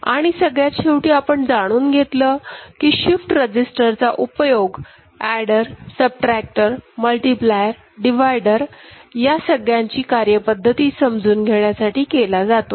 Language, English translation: Marathi, And finally, we saw use of shift register in efficient realization of adder cum subtractor, multiplier, divider ok